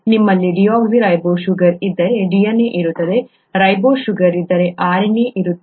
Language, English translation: Kannada, If you have a deoxyribose sugar you have DNA, if you have a ribose sugar you have RNA